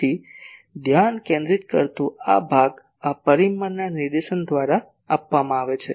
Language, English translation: Gujarati, So, that focusing part is measured by this parameter directivity